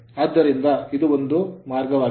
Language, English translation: Kannada, So, now this this is one way